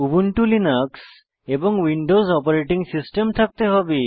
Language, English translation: Bengali, You must have Ubuntu Linux and Windows Operating System